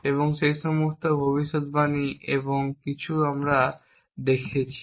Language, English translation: Bengali, And all those predicates and some of the actions we saw